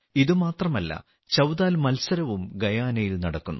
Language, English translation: Malayalam, Not only this, Chautal Competitions are also held in Guyana